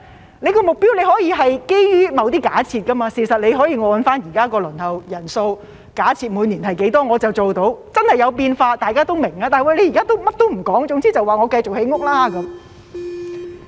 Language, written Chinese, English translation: Cantonese, 局長的目標可以是基於某些假設，事實可以按照現在的輪候人數，假設每年是多少便可以做到，即使真的有變化，大家也會明白，但現在甚麼也不說，總之說會繼續建屋。, The Secretarys target can be based on certain assumptions and in fact it can be set on the basis of the number of people currently on the Waiting List and the number of applicants each year even if there are really any discrepancies in these assumptions people will understand